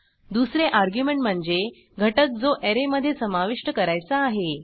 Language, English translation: Marathi, 2nd argument is the element which is to be pushed into the Array